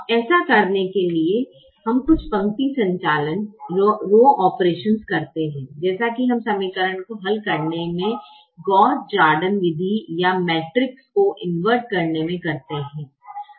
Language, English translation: Hindi, now, to do that, we do some rho operations, as we do in the gauss jordan method of solving equations, or inverting a matrix